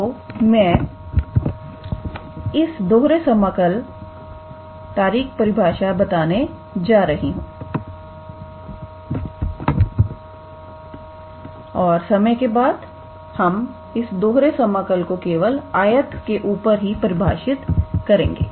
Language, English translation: Hindi, So, let us give a formal definition for this double integral and, for the time being we will perform the double integral on the rectangle only